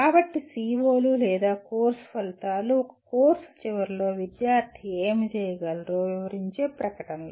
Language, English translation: Telugu, So COs or course outcomes are statements that describe what student should be able to do at the end of a course